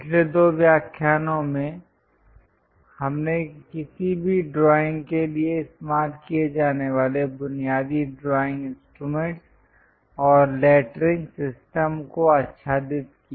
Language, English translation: Hindi, In the last two lectures we covered introduction, basic drawing instruments and lettering to be followed for any drawing